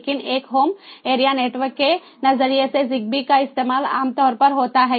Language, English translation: Hindi, but from a home area network perspective, zigbee is very commonly used